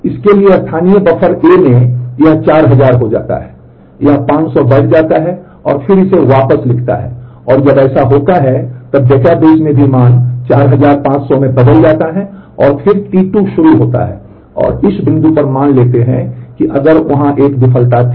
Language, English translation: Hindi, So, in its local buffer A becomes 4000 it increments by 500 and then writes it back and when that happens, then in the database also the value has changed to 4500 and then T 2 commits and at this point let us assume that there was if there was a failure